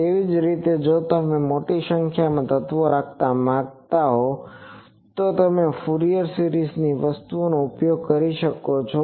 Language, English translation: Gujarati, Similarly, if you want to have an large number of elements if you want to take, you can use the Fourier series things